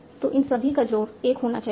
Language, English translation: Hindi, So all these should add it to 1